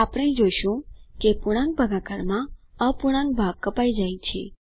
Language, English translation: Gujarati, We can see that in integer division the fractional part is truncated